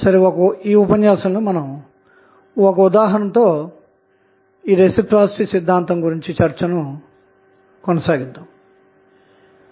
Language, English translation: Telugu, So, in this lecture we will explain what do you mean by reciprocity theorem